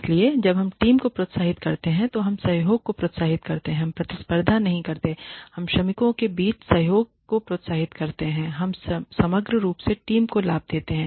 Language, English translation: Hindi, So, when we incentivize the team we encourage cooperation we not competition we encourage cooperation among workers and we give benefits to the team as a whole